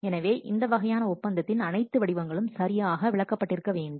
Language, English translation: Tamil, So, all those forms of agreement must be what properly explained